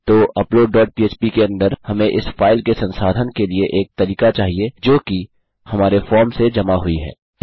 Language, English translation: Hindi, So inside upload dot php we need a way of processing this file which has been submitted from our form